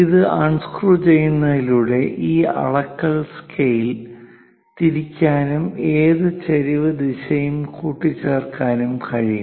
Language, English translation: Malayalam, So, by unscrewing this, this measuring scale can be rotated and any incline direction also it can be assembled